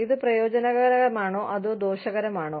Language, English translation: Malayalam, Is this beneficial, or is this harmful